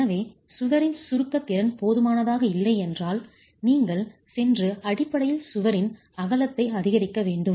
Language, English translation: Tamil, So if the compression capacity of the wall is inadequate, you need to go and basically increase the width of the wall